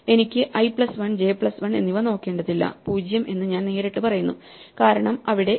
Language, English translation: Malayalam, I do not even have to look at i plus 1 j plus 1, I directly says that 0 because is not there